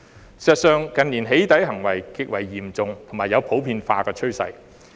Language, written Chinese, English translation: Cantonese, 事實上，近年"起底"行為極為嚴重，並有普遍化的趨勢。, As a matter of fact doxxing activities have intensified and emerged as a general trend in recent years